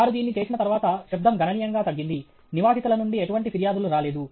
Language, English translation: Telugu, Once they did it, the noise considerably reduced; no complaints from the residents